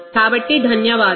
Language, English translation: Telugu, So, thank you